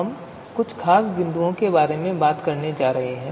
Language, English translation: Hindi, So we are going to talk about few specific points